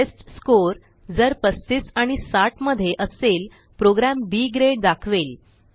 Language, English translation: Marathi, If the testScore is between 35 and 60 then the program displays B Grade